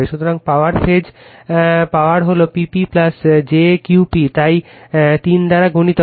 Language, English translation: Bengali, So, power phase power is P p plus jQ p, so multiplied by 3